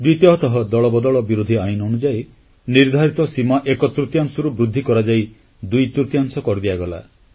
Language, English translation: Odia, And the second one is that the limit under the Anti Defection Law was enhanced from onethirds to twothirds